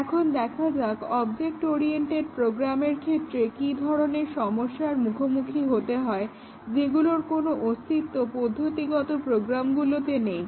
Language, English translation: Bengali, Let us look at what are the challenges of testing object oriented programs which did not exist in procedural programs